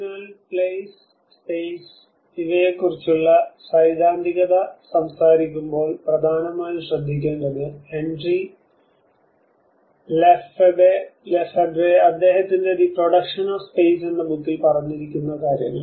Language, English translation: Malayalam, So, when we talk about the theoretical understanding of the place and space, one of the important understanding one has to look at the Henry Lefebvre works the production of space